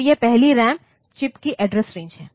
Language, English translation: Hindi, So, that is the address range of the first ram chip